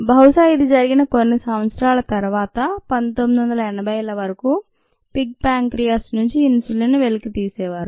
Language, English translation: Telugu, ok, probably a few years after this, till about nineteen eighties, they were obtained from the pancreas of pigs